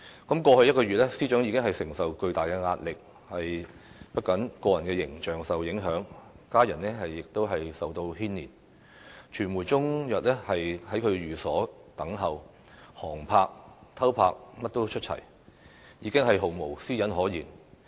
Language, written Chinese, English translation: Cantonese, 過去一個月，司長已經承受巨大壓力，不僅個人形象受影響，家人亦受牽連，傳媒終日在其寓所等候，航拍、偷拍也出齊，已經毫無私隱可言。, Over the past one month the Secretary for Justice has been living under immense pressure . Not only was her personal image tarnished but her family was also affected . Media workers waited all day long in front of her residence resorting to even aerial photography and clandestine filming leaving her with no privacy whatsoever